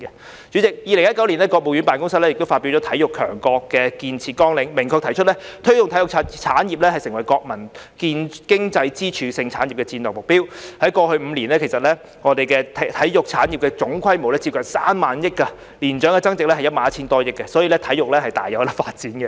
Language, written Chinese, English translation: Cantonese, 代理主席 ，2019 年國務院辦公廳發表了《體育強國建設綱要》，明確提出"推動體育產業成為國民經濟支柱性產業"的戰略目標，在過去5年間，其實我們體育產業的總規模是接近3萬億元，年增長額為 11,000 多億元，可見體育大有發展空間。, Deputy President in 2019 the Office of the State Council released the Outline for Building a Leading Sports Nation which clearly puts forward the strategic goal of developing the sports industry as one of the pillars that support Chinas economic progress . In the past five years the total size of our sports industry is actually close to RMB3 trillion with an annual growth of more than RMB1.1 trillion showing that there is much room for sports development